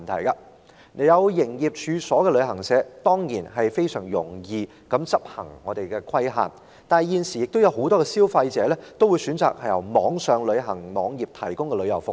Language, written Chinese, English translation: Cantonese, 有營業處所的旅行社當然容易規管，但現時很多消費者會選擇由網上旅行社提供的服務。, While it is easy to impose regulation over travel agents with business premises nowadays many consumers opt for services provided by online travel agents